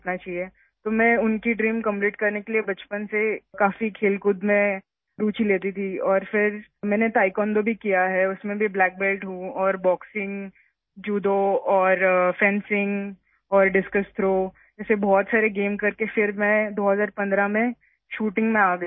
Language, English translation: Urdu, So to fulfil her dream, I used to take a lot of interest in sports since childhood and then I have also done Taekwondo, in that too, I am a black belt, and after doing many games like Boxing, Judo, fencing and discus throw, I came to shooting